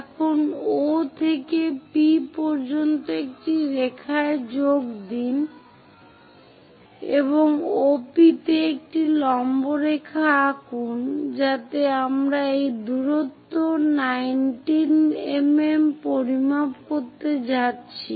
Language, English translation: Bengali, Now, from center O to P join a line and draw a perpendicular line to OP in such a way that we are going to measure this distance 19 mm